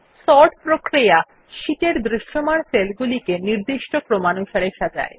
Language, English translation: Bengali, Sorting arranges the visible cells on the sheet in any desired manner